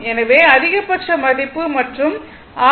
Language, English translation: Tamil, This is the maximum value